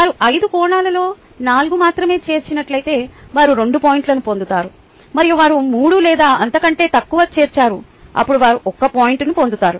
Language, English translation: Telugu, if they have included only four of the five dimension, they have get two points, and they have included three or less, then they get one point